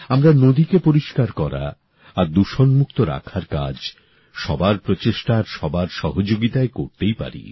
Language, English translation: Bengali, We can very well undertake the endeavour of cleaning rivers and freeing them of pollution with collective effort and support